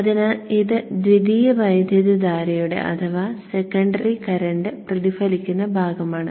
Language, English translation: Malayalam, So this is the reflected part of the secondary current